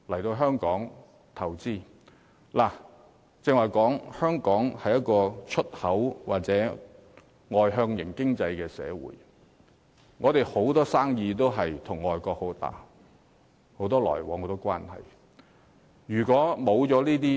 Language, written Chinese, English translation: Cantonese, 正如剛才所說，香港是一個以出口為主的外向型經濟社會，跟海外有龐大的生意往來和關係。, As I have said as an externally - oriented economy based mainly on export trade Hong Kong has huge volumes of trade and intricate ties with other countries